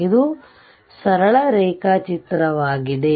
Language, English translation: Kannada, So, this is simple diagram